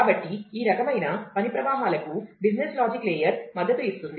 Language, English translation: Telugu, So, all these kind of work flows will be supported by the business logic layer